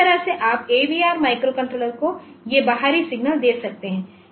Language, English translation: Hindi, So, that way you can give these external signals to the AVR microcontrollers